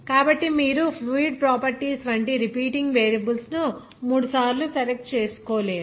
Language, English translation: Telugu, So you have you cannot select that repeating variable like fluid property three times like that